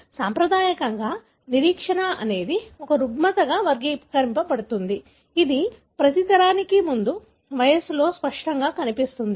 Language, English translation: Telugu, Classically, the anticipation is characterized as a disorder, which, that becomes apparent at an earlier age with each generation